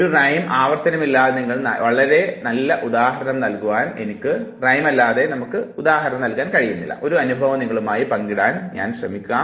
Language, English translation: Malayalam, I cannot give you very good example other than repetition of a rhyme, but I can share one interesting experience with you